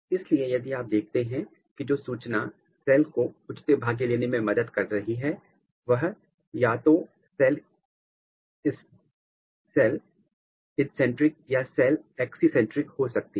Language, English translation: Hindi, So, if you look that the information which is helping for a cell to take it’s a proper fate it can be either cell instrinsic or cell extrinsic